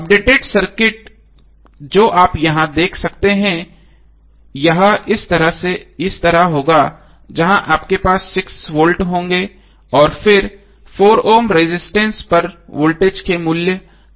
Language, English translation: Hindi, So the updated circuit which you will see here would be like this where you will have 6 volt and then need to find out the value of voltage across 4 Ohm resistance